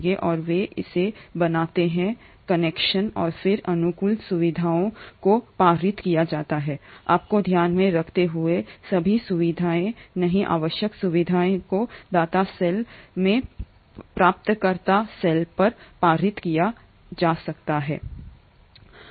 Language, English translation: Hindi, And they form this connection and then the favourable features are passed on, mind you, not all the features, the required features can be passed on from the donor cell to the recipient cell